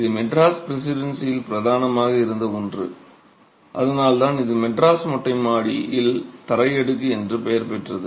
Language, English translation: Tamil, This is something that was predominant, prevalent in the Madras Presidency and that's why it gets the name the Madras Terrace Flow Slab